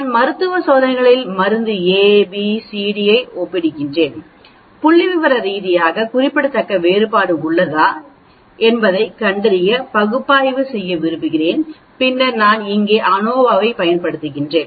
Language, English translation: Tamil, I am comparing drug A, B, C, D in clinical trials, I want to perform analysis to find out whether there is a statistically significant difference, then I use ANOVA here